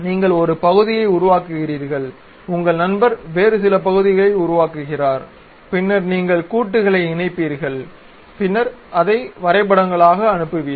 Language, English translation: Tamil, You construct one part, your friend will construct some other part, then you will assemble the joint, then you will pass it as drawings